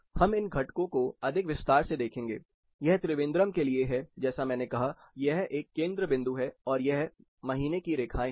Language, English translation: Hindi, We will look at the components more in detail, this is for Trivandrum like I said, this is a center point and these are month lines